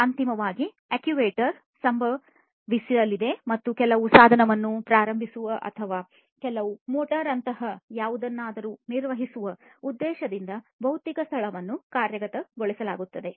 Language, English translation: Kannada, So, finally, based on that the actuation is going to happen and the physical space will be actuated with the intention of you know starting some device or operating some, you know, some motor or anything like that